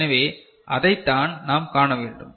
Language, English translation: Tamil, So, that is what we need to see